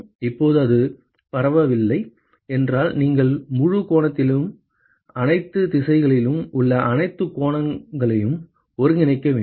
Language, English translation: Tamil, Now if it is not diffuse, then you will have to integrate over the whole angle all the angles in all the directions